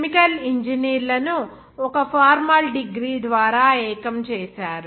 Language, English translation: Telugu, Thereby, uniting chemical engineers through a formal degree